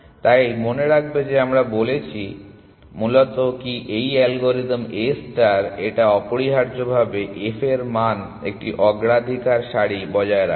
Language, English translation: Bengali, So, remember that we said that basically what this algorithm A star does is it maintains a priority queue of on f value essentially